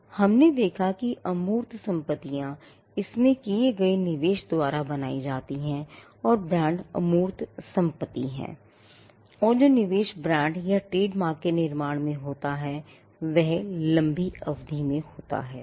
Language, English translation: Hindi, Now, we saw that intangible assets are created by an investment into that goes into it and brands are intangible assets and the investment that goes into creation of brands or trademarks happen over a long period of time